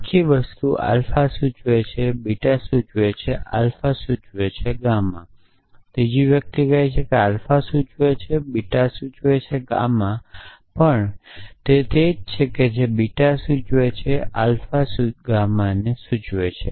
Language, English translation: Gujarati, The whole thing implies alpha implies beta implies alpha implies gamma the third one says alpha implies beta implies gamma is also the same as beta implies alpha implies gamma